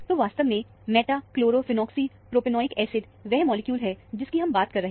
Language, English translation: Hindi, So, the molecule is actually, meta chlorophenoxy propionic acid is the molecule that we are referring to